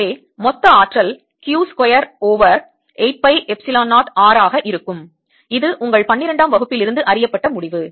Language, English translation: Tamil, so this is nothing but q square over eight pi epsilon zero r, because this limit is from r to infinity